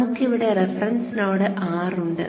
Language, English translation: Malayalam, So let us say we have a reference node, R here